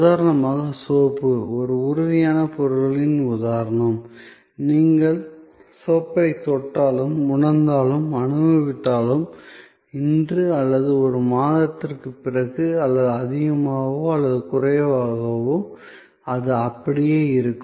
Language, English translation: Tamil, For example a soap, which is an example of a tangible goods, whether you touch, feel, experience the soap, today or a month later, more or less, it will remain the same